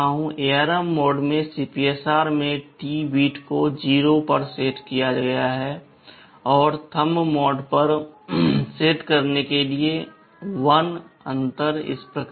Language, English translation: Hindi, In ARM mode the T bit in the CPSR is set to 0 and for Thumb mode set to 1